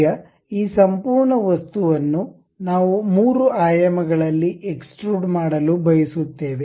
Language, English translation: Kannada, Now, this entire thing, we would like to extrude it in 3 dimensions